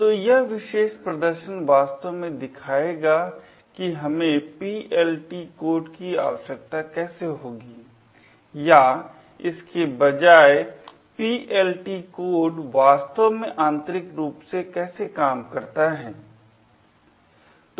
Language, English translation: Hindi, So, this particular demonstration would actually show how would we need a PLT code or rather how PLT code actually works internally